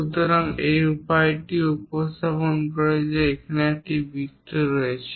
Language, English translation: Bengali, So, this way also represents that there is a circle and the diameter is 7